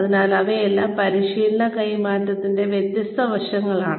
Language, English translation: Malayalam, So, all of these are, different aspects of transfer of training